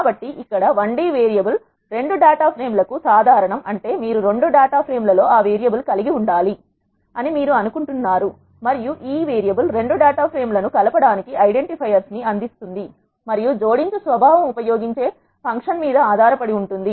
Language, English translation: Telugu, So, here the I d variable is common to both data frames; that means, you have to have that variable in both data frames, which you want to combine and this variable provides the identifiers for combining the 2 data frames and the nature of combination depends upon the function that is being used